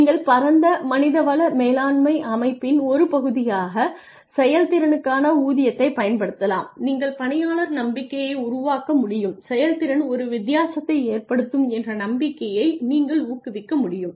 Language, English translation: Tamil, You could use pay for performance as a part of broader human resource management system, you could build employee trust you could promote the belief that performance makes a difference